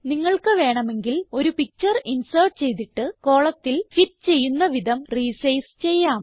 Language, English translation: Malayalam, You can even insert a picture in the column and resize it so that it fits into the column